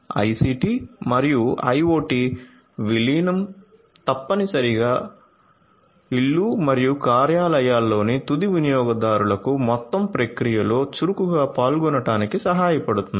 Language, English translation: Telugu, So, the incorporation of IT, ICT and IoT can essentially help the end consumers in the homes and offices to actively participate to actively participate in the entire process